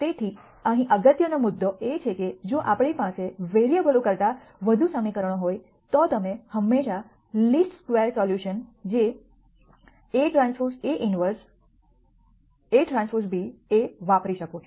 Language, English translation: Gujarati, So, the important point here is that if we have more equations than variables then you can always use this least square solution which is a transpose A inverse A transpose b